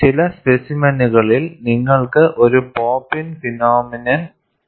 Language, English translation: Malayalam, In certain specimens, you will also have a pop in phenomenon